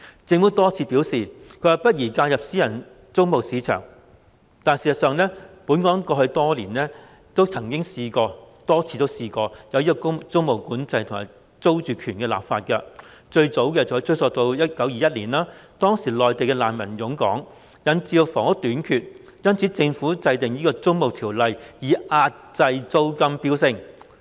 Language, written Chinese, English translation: Cantonese, 政府多次表示，不宜介入私人租務市場，但事實上，本港過去曾多次實施租務管制，以及就租住權立法，最早的例子可追溯至1921年，當時內地難民湧港，引致房屋短缺，因此政府制定《租務條例》，以遏抑租金飆升。, The Government has repeatedly claimed that it is inappropriate to intervene in the private rental market . But Hong Kong has actually implemented tenancy control and introduced legislation on security of tenure time and again previously . The earliest example can be traced back to 1921 when Mainland refugees flocked into Hong Kong and caused a housing shortage